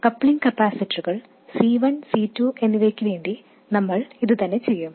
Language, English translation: Malayalam, Now we will do the same thing for the capacitors, coupling capacitors C1 and C2